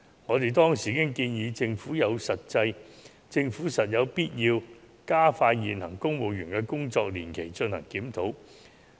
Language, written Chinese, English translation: Cantonese, 我們當時建議政府有必要加快就現行公務員的工作年期進行檢討。, At that time we suggested that the Government should expedite the review of the working lifetime of civil servants